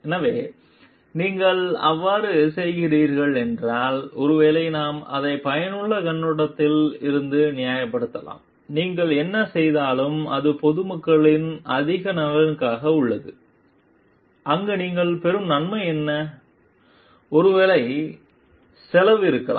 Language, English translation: Tamil, So, if we are doing if you are doing so maybe we can justify it from the utilitarian perspective like, whatever you are doing is in the greater interest of the public at large and there the that is what is the benefit you are getting and the cost maybe